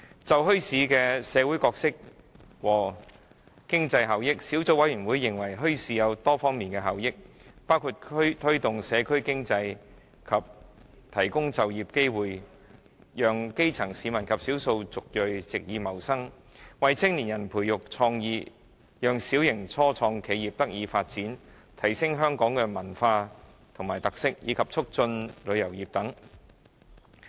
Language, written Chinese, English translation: Cantonese, 就墟市的社會角色和經濟效益，小組委員會認為墟市有多方面的效益，包括推動社區經濟和提供就業機會，讓基層市民及少數族裔藉以謀生，為青年人培育創意，讓小型初創企業得以發展，提升香港的文化和特色，以及促進旅遊業。, Concerning the social roles and economic benefits of bazaars the Subcommittee considers that the benefits of bazaars are multi - faceted . Besides promoting the local economy and providing job opportunities for the grass roots and ethnic minorities to earn a living for young people to foster creativity and for small scale business start - ups to develop bazaars also help enhance Hong Kongs culture and characteristics as well as promote tourism